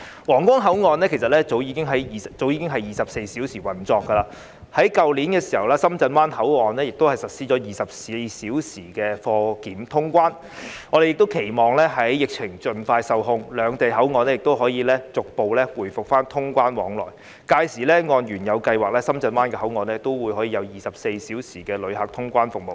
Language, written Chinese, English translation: Cantonese, 皇崗口岸其實早已是24小時運作，而在去年，深圳灣口岸亦實施了24小時的貨檢通關，我們期望疫情盡快受控，兩地口岸可以逐步回復通關往來，屆時按原有計劃，深圳灣口岸也可有24小時的旅客通關服務。, In fact 24 - hour operation was implemented at the Huanggang Port long ago and last year 24 - hour cargo clearance service was also implemented at the Shenzhen Bay Port . It is our hope that the pandemic can be put under control very soon so that travelling and clearance services at the control points between Hong Kong and Shenzhen can be resumed gradually . At that time 24 - hour passenger clearance service at the Shenzhen Bay Port can also be implemented according to the original schedule